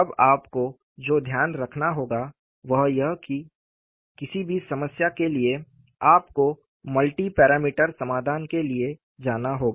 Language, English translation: Hindi, Now, what we will have to keep in mind is, for any problem, you will have to go in for multi parameter solution